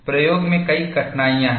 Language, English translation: Hindi, What is the difficulty in the experimentation